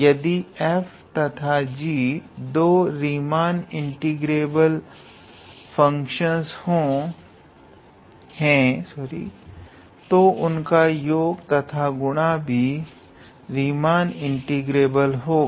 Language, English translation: Hindi, So, if f and g are two Riemann integrable functions, then sum of these two functions is also Riemann integrable